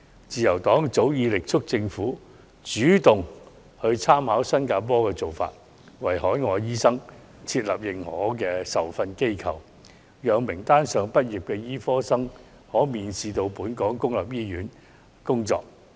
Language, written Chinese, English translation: Cantonese, 自由黨早前已力促政府主動參考新加坡的做法，為海外醫生設立認可受訓機構名單，讓名單上畢業的醫科生可免試到本港公立醫院工作。, Earlier on the Liberal Party has urged the Government to take the initiative to follow Singapores steps in drawing up a list of recognized training institutes for overseas doctors and allowing medical graduates from recognized institutes to practice in Hong Kongs public hospitals without having to go through the licensing exam